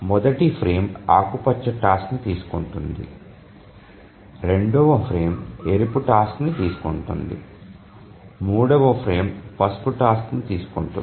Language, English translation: Telugu, So, first frame it took up the green task, the second frame the red task, third frame, yellow task and so on